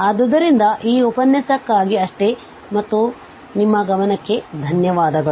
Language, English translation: Kannada, So, that is all for this lecture and thank you for your attention